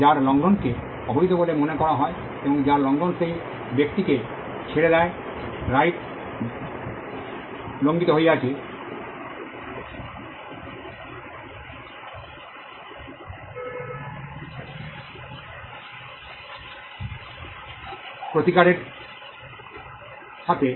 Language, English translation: Bengali, The violation of which is deemed as unlawful, and the violation of which leaves the person whose right is violated with a remedy